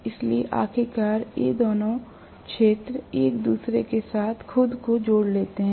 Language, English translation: Hindi, So, ultimately both these fields align themselves with each other right